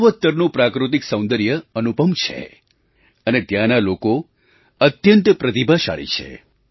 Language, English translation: Gujarati, The natural beauty of North East has no parallel and the people of this area are extremely talented